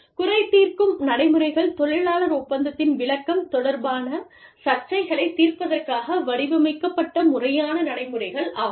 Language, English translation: Tamil, Grievance procedures are, systematic step by step procedures, designed to settle disputes, regarding the interpretation of the labor contract